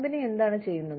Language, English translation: Malayalam, What is it that, the company is doing